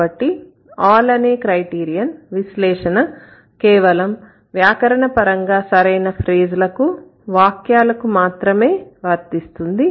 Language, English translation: Telugu, So, the first all criterion means this analysis must account for all grammatically correct phrases and sentences